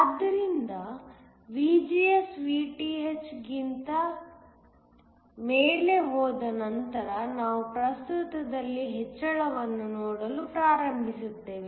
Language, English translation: Kannada, So, once VGS goes above Vth, we are going start to see an increase in current